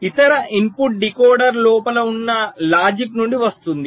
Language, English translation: Telugu, the other input will be coming from the logic inside the decoder